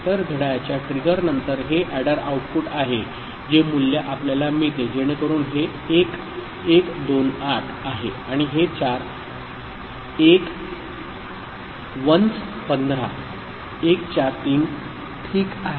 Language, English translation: Marathi, So, after clock trigger this is the adder output this is the value that we get so this 1 is 128 and this four 1s 15 – 143, ok